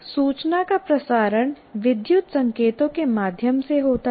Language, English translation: Hindi, So the transmission of information is through electrical signals